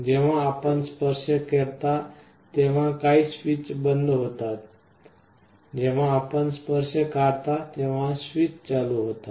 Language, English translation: Marathi, Whenever you make a touch some switch is closed, when you remove the touch the switch is open